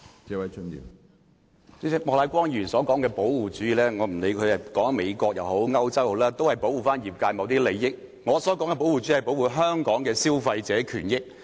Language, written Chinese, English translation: Cantonese, 主席，不管莫乃光議員所說的保護主義，是指美國還是歐洲的情況，但都是保護業界某些利益，而我所說的保護主義，是指保護香港的消費者權益。, President the protectionism described by Mr Charles Peter MOK is always about protecting certain interests of the industry disregarding which places he refers to the United States or Europe . But the protectionism I mention is about protecting the interests of Hong Kong consumers . Hong Kong has its own system in this regard